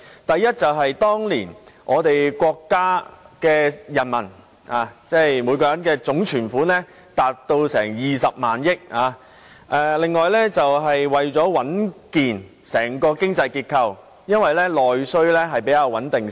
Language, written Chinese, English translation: Cantonese, 第一個原因是當年國家人民的總存款達20萬億元，而另一個原因是為了穩定整個經濟結構，因為內需相對較為穩定。, The first reason was that then the total deposits of the people of our country had reached RMB20,000 billion . Another reason was to stabilize the overall economic structure as domestic demand was relatively stable